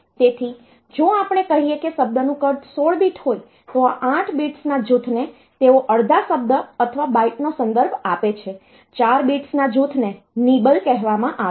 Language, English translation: Gujarati, So, if we say that a word size is 16 bit then the group of 8 bits they are refer to half word or byte group of 4 bits is called a nibble